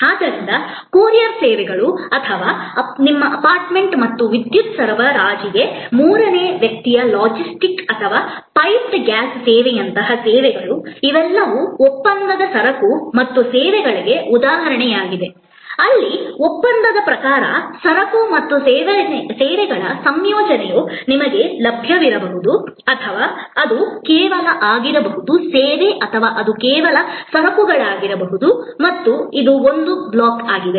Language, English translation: Kannada, So, courier services or services like third party logistics or piped gas service to your apartment and electricity supply, all these are example of contractual goods and services, where contractually either a combination of goods and services may be available to you or it can be just service or it can be just goods and this is one block